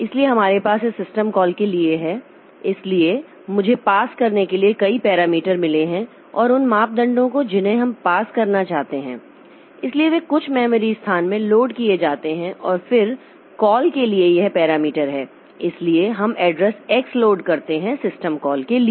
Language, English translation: Hindi, So, we have got a number of parameters to pass and those parameters that we want to pass, so they are loaded into some memory locations and then this parameter, the parameters for the call, so we load the address X for the system call